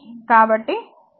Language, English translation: Telugu, So, current is 1